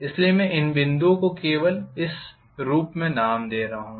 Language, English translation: Hindi, So I am just naming the points as this